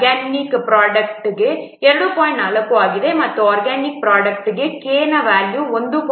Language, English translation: Kannada, 4 and for organic product, the value of K is equal to 1